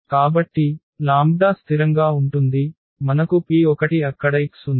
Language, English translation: Telugu, So, the lambda is constant so, we have P inverse x there